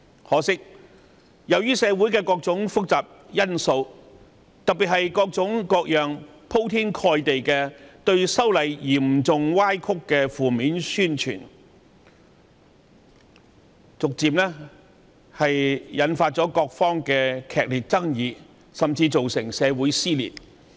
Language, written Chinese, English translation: Cantonese, 可惜，社會上各種複雜因素，特別是各種鋪天蓋地並嚴重歪曲修例工作的負面宣傳，逐漸引發各方的劇烈爭議，甚至造成社會撕裂。, Yet owing to the complicated social factors particularly the overwhelming negative promotion which has seriously distorted the amendment exercise intense controversies have arisen and society has even been torn apart